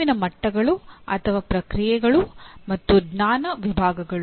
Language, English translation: Kannada, Cognitive levels or processes and knowledge categories